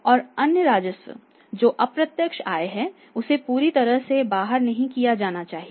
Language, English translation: Hindi, And no other revenue that is indirect income that should be totally excluded